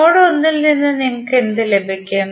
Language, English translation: Malayalam, What you will get from node 1